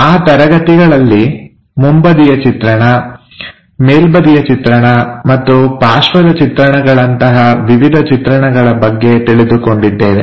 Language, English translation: Kannada, There we have learned about the views like front view, top view, and side views